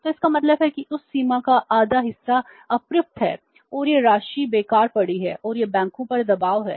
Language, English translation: Hindi, So, it means half of that limit is remaining unused and that amount is lying waste and that is a pressure on the banks